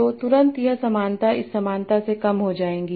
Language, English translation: Hindi, So immediately this similarity will become lower than this similarity